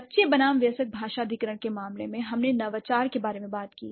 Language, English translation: Hindi, So, in case of child versus adult language acquisition, we did talk about the innovation